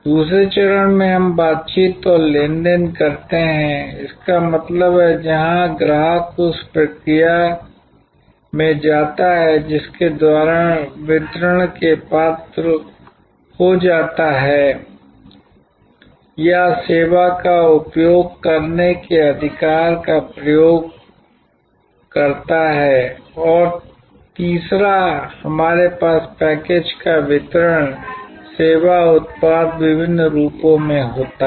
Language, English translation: Hindi, In the second stage we do negotiation and transaction; that means, where the customer goes to the process by which becomes eligible for delivery or use the right to use the service and thirdly we have the delivery of the package itself, the service product in various form